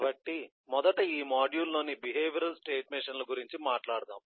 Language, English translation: Telugu, so first let us talk about the behavioral state machine in this eh module